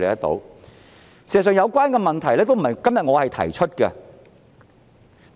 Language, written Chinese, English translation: Cantonese, 事實上，有關問題都不是我今天才提出的。, In fact these problems were not raised by me only today